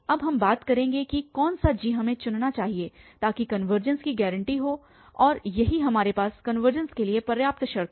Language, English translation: Hindi, Now, will be talking about that which g we should choose so that the convergences guaranteed and this is what we have here the sufficient condition for convergence